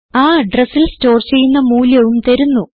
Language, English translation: Malayalam, It also gives value stored at that address